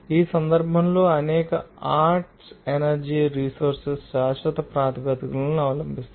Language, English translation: Telugu, And this case, many of the arts energy resources are available on a perpetual basis